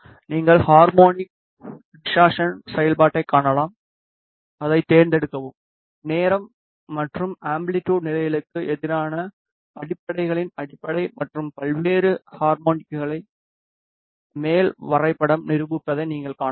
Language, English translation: Tamil, You can see harmonic distortion function, select it, you can see that the upper graph demonstrates the fundamental and various harmonics of the fundamental against time and amplitude levels